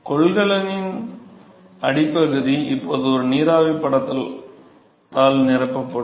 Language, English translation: Tamil, So, the bottom of the container is now going to be filled with the a vapor film